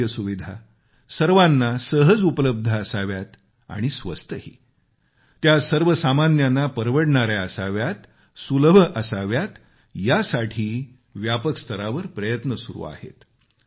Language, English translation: Marathi, Efforts are being extensively undertaken to make health care accessible and affordable, make it easily accessible and affordable for the common man